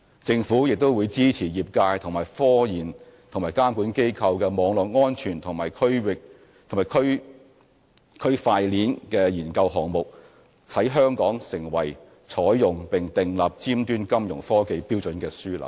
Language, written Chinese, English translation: Cantonese, 政府也會支持業界與科研和監管機構的網絡安全和區塊鏈研究項目，使香港能成為採用並訂立尖端金融科技標準的樞紐。, Financial support will also be provided by the Government to the relevant sector research institutes and regulatory authorities for undertaking research projects on cyber security and Blockchain technology so as to establish Hong Kong as a hub for the application and setting of standards for cutting - edge Fintech